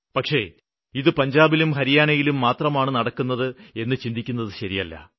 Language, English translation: Malayalam, Your concerns are right but this just does not happen in Punjab and Haryana alone